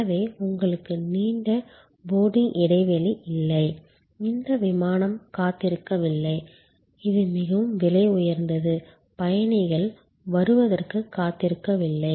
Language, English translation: Tamil, So, you do not have a long boarding gap you are not waiting that aircraft which is the most it is time is most expensive not waiting for passengers to arrive